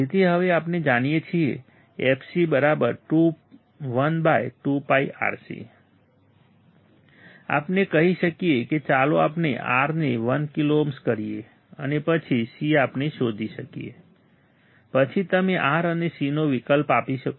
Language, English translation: Gujarati, So, now since we know fc equals to 1 upon 2PIRC we can say let us R equal to 1 kilo ohm right and then c we can find then you can substitute to R and C is available